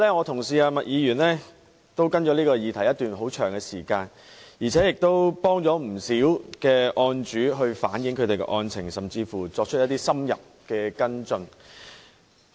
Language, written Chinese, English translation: Cantonese, 她跟進此議題已有一段很長的時間，亦幫助了不少案主反映案情，甚至作出深入的跟進。, She has not only followed up this question for a very long period of time but also assisted quite a number of people in relaying the facts of their cases or even taken in - depth follow - up action